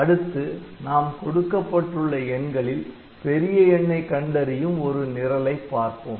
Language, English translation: Tamil, Next we look into one program this is an example program for finding the maximum of a set of numbers